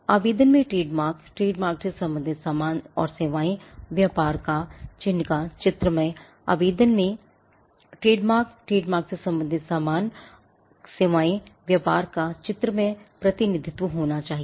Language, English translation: Hindi, The application should have the trademark, the goods and services relating to the trademark, the graphical representation of the trade mark